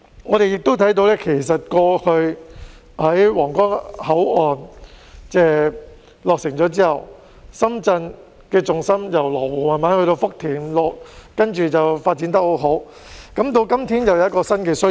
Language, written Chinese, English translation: Cantonese, 我們亦看到，過去皇崗口岸落成後，深圳的重心逐漸由羅湖移至福田，然後發展得十分好；到今天，又有新的需要。, We also see that following the completion of the Huanggang Port in the past Shenzhen gradually shifted its focus from Lo Wu to Futian and has been on a very good development path ever since . Fast - forward to today and there are new needs